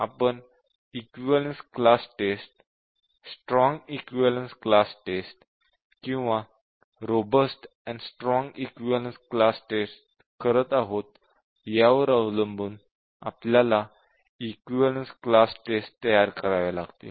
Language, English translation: Marathi, So,we will have equivalence class tests depending on whether we are doing weak equivalence class test, strong equivalence class test or robust and strong equivalence class test